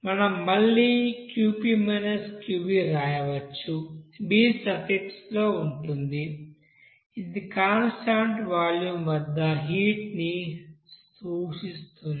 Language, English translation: Telugu, And again we can write Qp – Qv, this v is in actually suffix which represents this heat at constant volume